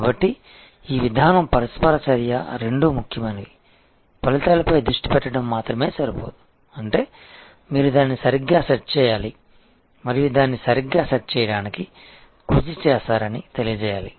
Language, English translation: Telugu, So, this procedure interaction are both important just by focusing on outcome is not enough; that means, you must set it right and you must make it known that you have put in effort to set it right